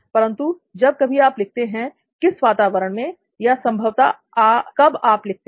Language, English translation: Hindi, If at all you write, in what environment or when do you think you probably write